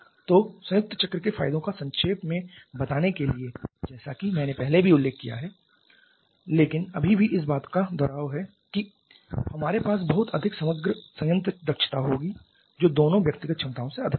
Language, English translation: Hindi, So, just to summarize the advantages of the combined cycle as I have mentioned earlier also but still a repeat of that we are going to have much higher overall plant efficiency which will be higher than both individual efficiencies